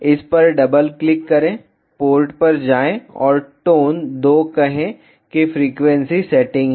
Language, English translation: Hindi, ah Double click on this, go to port and say tone 2 to have the frequency setting